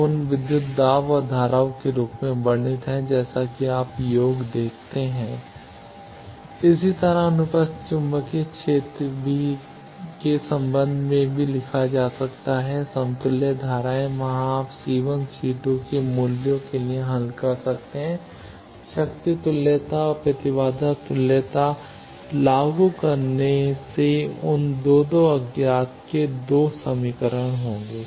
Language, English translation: Hindi, Now, can be described in terms of those equivalent voltage and currents as V n plus by c 1 n as you see the sum of n plus and n minus, similarly the transverse magnetic field also can be written in terms of equivalent currents i n plus and i n minus c 2 c n are there you can solve for the values of c 1 and c 2 by enforcing the power equivalence and impedance equivalence those 2 will 2 unknowns 2 equations